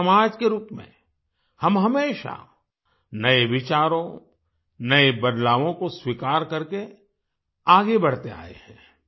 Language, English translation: Hindi, As a society, we have always moved ahead by accepting new ideas, new changes